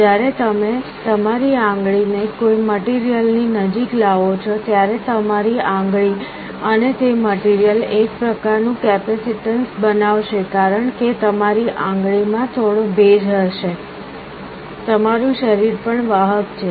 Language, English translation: Gujarati, When you bring your finger close to a material, your finger and that material will form some kind of a capacitance because there will some moisture in your finger, your body is also conductive